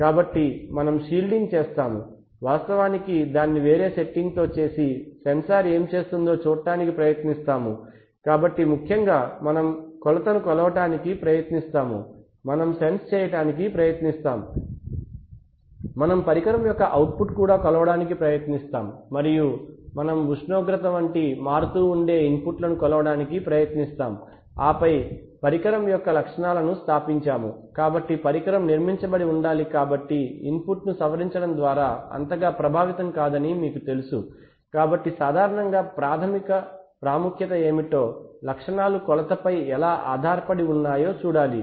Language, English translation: Telugu, So we do shielding we actually do take it to a different setting and actually try to see what the sensor is doing, so essentially we try to measure the measurand, we try to sense, we try to also measure the output of the instrument and we try to measure modifying inputs like temperature and then we establish the characteristics of the instrument, so since the instrument must have been constructed, to be you know relatively unaffected by modifying input, so I mean generally what is of much more importance of primary importance is to see how the instrument characteristics are dependent on the measurand right